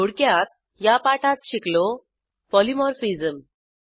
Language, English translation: Marathi, In this tutorial, we learnt Polymorphism